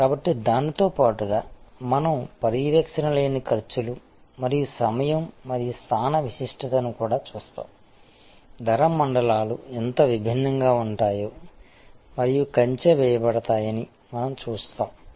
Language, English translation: Telugu, So, we will there look at also besides this a non monitory costs and time and location specificity, we will see how different a price zones and can be fenced